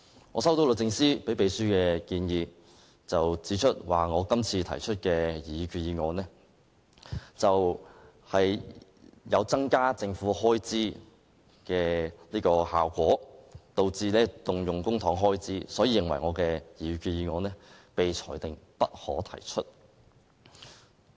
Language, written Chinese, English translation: Cantonese, 我接獲律政司給予秘書的建議，指我今次提出的擬議決議案，有增加政府開支的效果，導致動用公帑開支，所以認為我的擬議決議案應被裁定為"不可提出"。, In its letter addressed to the Secretariat to give comments on my proposed resolution DoJ said my proposal would increase the Government expenditure and have a charging effect and should thus be ruled inadmissible